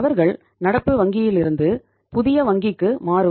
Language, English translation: Tamil, They will shift from current bank to the new bank